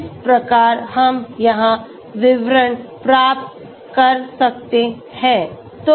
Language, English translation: Hindi, This is how we can get the details here okay